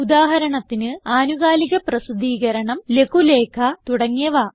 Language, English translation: Malayalam, For example a periodical, a pamphlet and many more